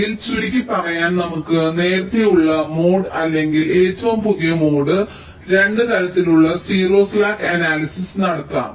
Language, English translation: Malayalam, ok, so to summarize: ah, we can have early mode or latest mode, both kind of zero slack analysis